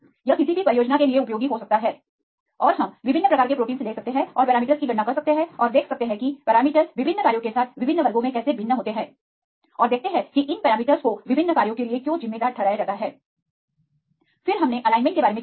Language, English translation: Hindi, This can be useful for any project and we can take different types of proteins and calculate the parameters and see how the parameters vary in different classes with different functions and see why these parameters are attributed for different functions, then we discussed about the alignment